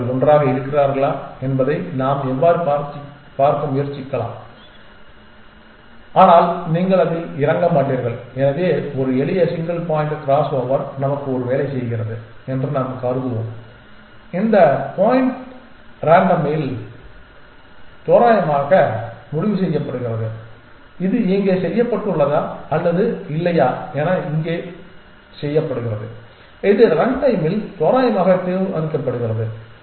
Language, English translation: Tamil, How can we try to see whether they stay together, but you will not get into that So, we will assume that a simple single point crossover does a job for us and this point is decided randomly at run time whether it is done here or whether it is done here this is decided randomly at run time